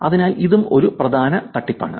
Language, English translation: Malayalam, So, this is an important scam also